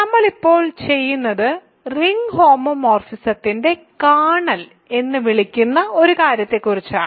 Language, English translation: Malayalam, So, what we will do now is talk about something called the “Kernel of a ring homomorphism”